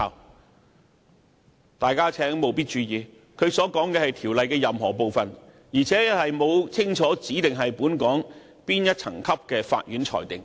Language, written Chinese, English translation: Cantonese, 請大家務必注意，他所說的是條例任何部分，而且沒有清楚指明是本港哪層級法院所作的裁決。, Members should note that he was talking about any part of the Bill and he did not specify clearly the adjudication by which level of courts of Hong Kong